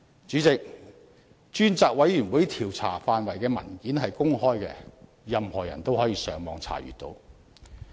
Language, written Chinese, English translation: Cantonese, 主席，專責委員會調查範圍的文件是公開的，任何人都可以上網查閱。, President the document on the Select Committees scope of inquiry is open to the public and accessible via the Internet